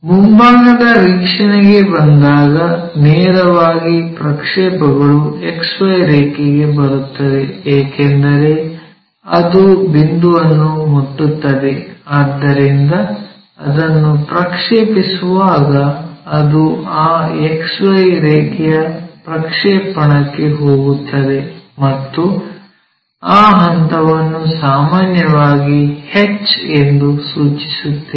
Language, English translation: Kannada, And when it comes to front view, straight away the projection comes to XY line, because it is touching the point; so when you are projecting it, it goes on to that projection of that XY line and that point we usually denote it by h, a small h